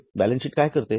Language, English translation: Marathi, Now what does the balance sheet do